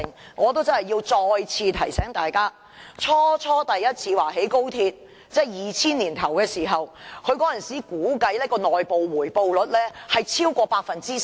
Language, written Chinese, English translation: Cantonese, 但我真的要再次提醒大家，政府在2000年年初首次表示要興建高鐵時，當時估計的內部回報率為超過 10%。, But I really must remind Members once again that when the Government said the first time in the beginning of 2000 that XRL would be constructed the internal rate of return was estimated to be over 10 %